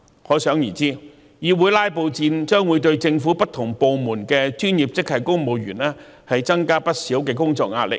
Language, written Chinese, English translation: Cantonese, 可想而知，議會"拉布"戰將會對政府不同部門的專業職系公務員增加不少工作壓力。, One can imagine that filibustering at the legislature will put extra work pressure on professional grade civil servants in different government departments